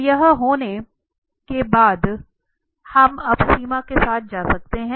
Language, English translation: Hindi, So, having this we can now go with this limits